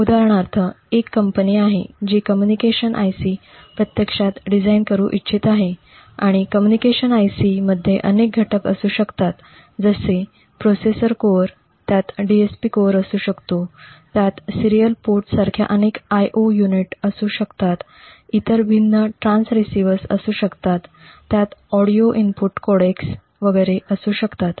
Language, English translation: Marathi, So for instance we have a company which wants to actually design say a communication IC and the communication IC would have several components like a processor core, it may have a DSP core, it may have several IO units like a serial port it, may have various other transceivers, it may have audio input codecs and so on